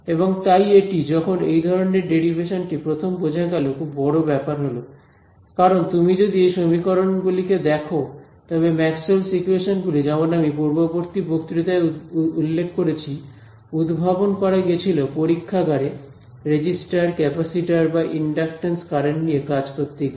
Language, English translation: Bengali, And so this, when this kind of a derivation was first understood was a very big deal because if you look at these equations Maxwell’s equations like I mentioned in the previous lecture these were derived in a lab dealing with resistors, capacitors, inductance currents